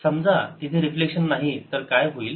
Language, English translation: Marathi, suppose there is no reflection